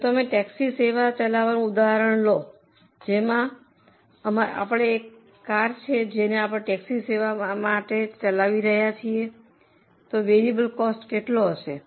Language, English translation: Gujarati, If you take our example of operating a taxi service, we have one car, we are operating a taxi service, what will be the variable cost